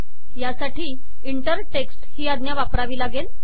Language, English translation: Marathi, This can be achieved using the inter text command